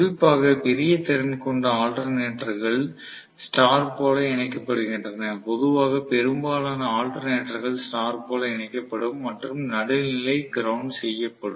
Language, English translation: Tamil, Most of the alternators are connected especially large capacity alternators are connected in star, generally, most of the alternators will be connected in star and the neutral will be grounded